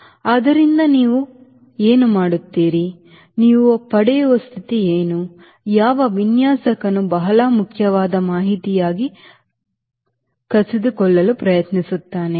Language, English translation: Kannada, so what you do, what is the condition you get which a designer will try to snatch as an very important [vocalized noise] information